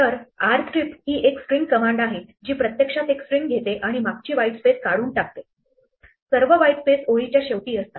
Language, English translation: Marathi, So, r strip is a string command which actually takes a string and removes the trailing white space, all the white spaces are at end of the line